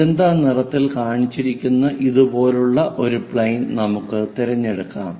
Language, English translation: Malayalam, Let us pick such kind of plane as this one, the one which is shown in magenta colour